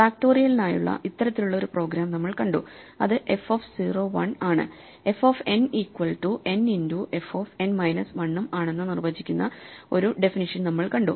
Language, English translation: Malayalam, So, we saw this kind of a program for factorial which almost directly follows a definition saying that f of 0 is 1 and f of n is n into f n minus 1